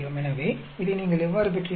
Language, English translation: Tamil, So, how did you get this